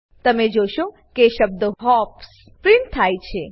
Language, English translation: Gujarati, You will notice that the word hops get printed